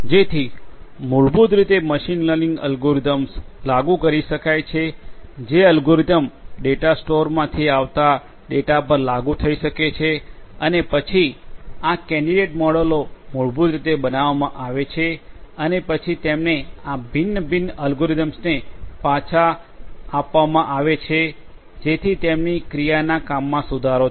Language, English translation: Gujarati, So, basically machine learning algorithms could be implemented those algorithms could be applied and applied on the data that comes from the data store and then these candidate models are basically built and then are fed back to these different learning algorithms to you know to improve upon their course of action